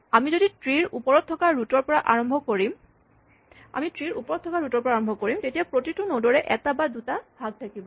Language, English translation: Assamese, We start at the root which is the top of the tree and then each node will have 1 or 2 children